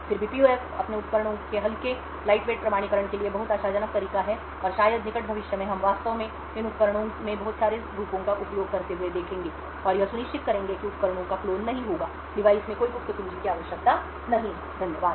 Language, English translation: Hindi, Nevertheless PUFs are very promising way for lightweight authentication of its devices and perhaps in the near future we would actually see a lot of forms being used in these devices and this would ensure that the devices will not get cloned, no secret key is required in the device and so on, thank you